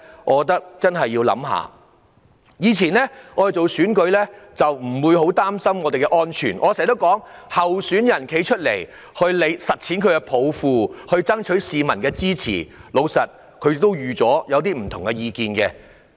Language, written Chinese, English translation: Cantonese, 我們以往參選不會太擔心安全問題，因為候選人出來參選，是為了實踐抱負及爭取市民的支持，所以早已預料會遇到持不同意見的人。, In the past we did not have to worry too much about safety when we run for election because we stood for election to achieve our vision and solicit support from the public and we have expected to meet people with different views